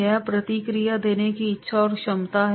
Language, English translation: Hindi, That is the willingness and ability to provide feedback